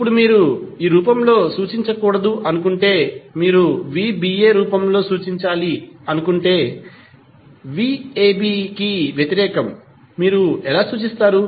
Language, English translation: Telugu, Now, if you do not want to represent in this form simply you want to represent in the form of v ba that is opposite of that how you will represent